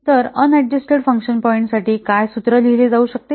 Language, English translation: Marathi, So, this formula for on adjusted function point can be written as what